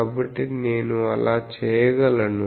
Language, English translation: Telugu, So, I will be able to do that